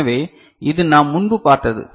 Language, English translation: Tamil, So, it is what we had seen before